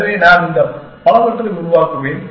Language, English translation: Tamil, So, I will generate that many these things